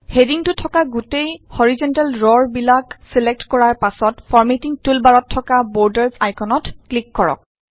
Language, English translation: Assamese, After selecting the entire horizontal row containing the headings, click on the Borders icon on the Formatting toolbar